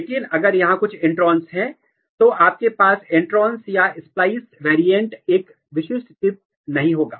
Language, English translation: Hindi, But if there is some intron here, you will not have intron or splice variant a specific chips